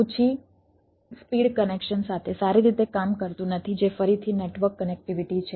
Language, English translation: Gujarati, does not work well with low speed connection, that is again network connectivity feature might be limited right